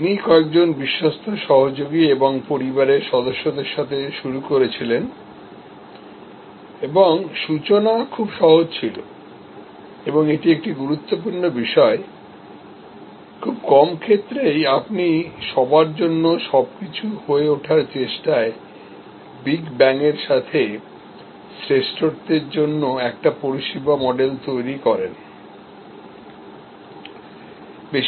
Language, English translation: Bengali, He started with few trusted associates and family members and the starting point was very simple and this is an important point, that very seldom you create a service model for excellence with the big bang in trying to become everything for everybody